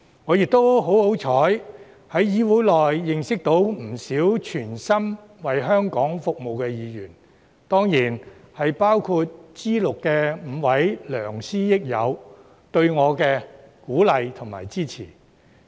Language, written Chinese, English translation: Cantonese, 我亦十分幸運，在議會內認識到不少全心為香港服務的議員，他們當然包括 G6 的5位給我鼓勵和支持的良師益友。, I also find myself lucky enough to have known a number of Members who are committed to serving Hong Kong in this Council . These Members of course include my five mentors and friends in G6 who have been encouraging and supportive to me